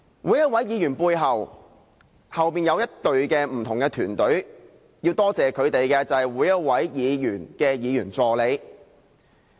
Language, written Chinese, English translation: Cantonese, 每一位議員背後都有一支團隊，要多謝每一位議員的議員助理。, Every Member is backed by a working team . I would like to thank all personal assistants of Members